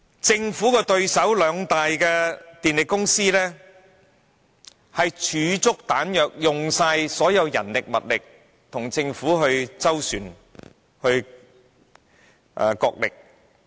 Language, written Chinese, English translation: Cantonese, 政府的對手兩大電力公司已儲備充足彈藥，耗盡所有人力、物力，與政府斡旋、角力。, The opponents of the Government the two major power companies have already had their arsenal fully loaded and are ready to use all their resources human resources or otherwise to bargain and negotiate with the Government